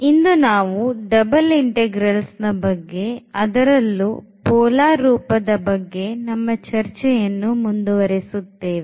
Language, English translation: Kannada, And today we will again continue with this double integrals, but in particular this polar form